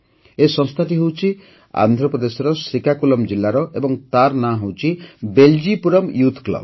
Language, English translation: Odia, This institution is in Srikakulam, Andhra Pradesh and its name is 'Beljipuram Youth Club'